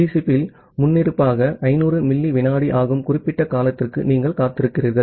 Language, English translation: Tamil, Rather you wait for certain amount of duration that is the 500 millisecond by default in TCP